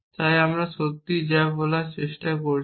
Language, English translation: Bengali, What am I trying to do